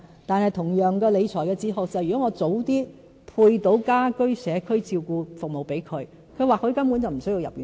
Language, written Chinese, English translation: Cantonese, 但是，同樣的理財哲學是，如果我及早為他們分配家居社區照顧服務，長者或許根本無須入院舍。, But again from the standpoint of my new fiscal philosophy if we can provide elderly people with home care and community care services at an earlier stage elderly people may not need any residential care places at all